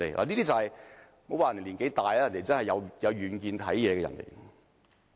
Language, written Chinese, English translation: Cantonese, 不要看他年紀大，他的確很有遠見。, Do not belittle him because of his age . He indeed has great foresight